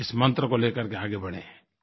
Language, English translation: Hindi, Make headway with this Mantra